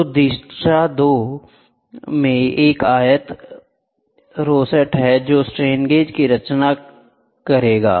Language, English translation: Hindi, So, 2 directions a rectangle rosette is composing of strain gauges it will